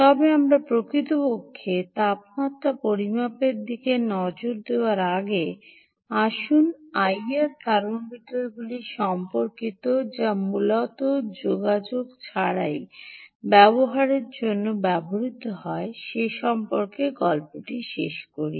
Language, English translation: Bengali, we will come to that, but before we actually look at temperature measurement indirectly, let us just finish of the story on, ah, the things related to i r thermometers, which are which are basically used for non contact applications